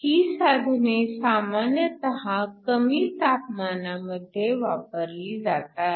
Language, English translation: Marathi, These devices are usually operated at low temperatures